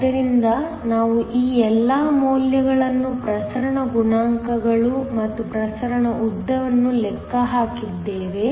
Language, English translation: Kannada, So, we have calculated all these values the diffusion coefficients and the diffusion length